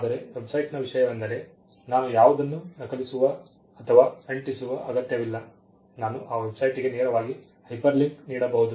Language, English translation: Kannada, But the point with the website is I need not copy or paste anything; I can give a hyperlink directly to that website